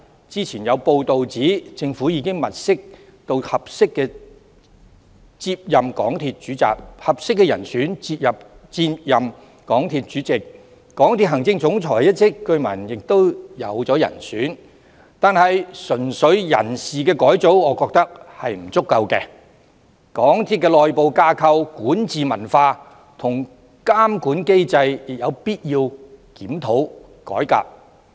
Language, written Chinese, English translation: Cantonese, 之前有報道指出政府已物色合適的人選接任港鐵主席，港鐵行政總裁一職據聞也已有人選，但我認為純粹人事改組並不足夠，港鐵的內部架構、管治文化及監管機制亦有必要作檢討和改革。, There is hearsay that a candidate has also been identified as the Chief Executive Officer . In my view however personnel changes are simply not sufficient . It is also necessary to review and reform the internal structure governance culture and monitoring mechanism of MTRCL